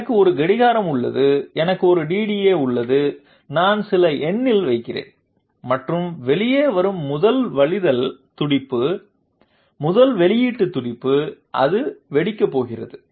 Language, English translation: Tamil, I have a clock, I have a DDA, I am putting in some number and the first overflow pulse which comes out, first output pulse it is going to cause detonation